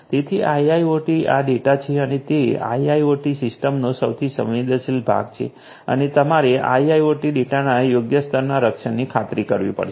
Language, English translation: Gujarati, So, you have to so go to IIoT is this data and it is the most sensitive part of IIoT systems and you have to ensure suitable levels of protection of IoT data